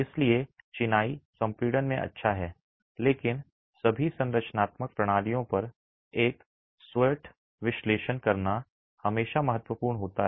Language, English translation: Hindi, So, masonry is good in compression but it is always important to do your SWAT analysis on all structural systems